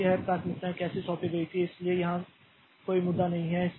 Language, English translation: Hindi, So, how this priorities were assigned so that is not an issue here